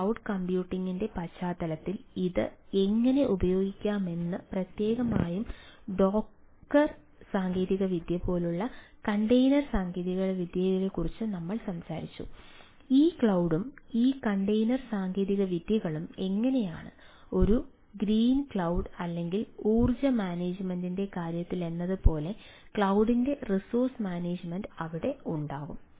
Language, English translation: Malayalam, we talked about container ah technology: ah, like ah specifically on the docker technology, that, how it can be um used for in the context of cloud computing, how this cloud and this container technologies there and, of course, this green cloud or ah like that it it comes to that energy management, resource management of the cloud can be there